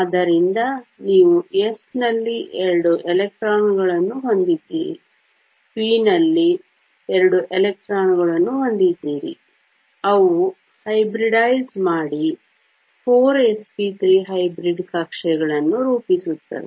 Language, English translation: Kannada, So, you have two electrons in the s, two electrons in the p, they hybridize to form 4 s p 3 hybrid orbitals